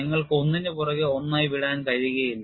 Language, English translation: Malayalam, You cannot leave out one over the other